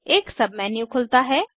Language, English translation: Hindi, A Sub menu with O and Os opens